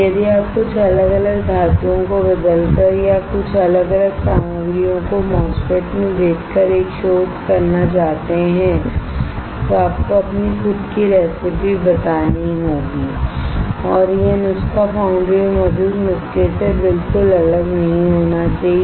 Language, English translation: Hindi, If you want to do a research by changing some different metals or by selling some different materials in a MOSFET, you have to tell your own recipe and that recipe should not be extremely different than the existing recipes in the foundry